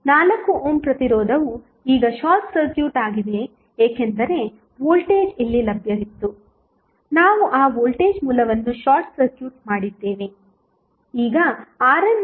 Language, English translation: Kannada, 4 ohm resistance UC is now short circuited because the voltage was which was available here, we short circuited that voltage source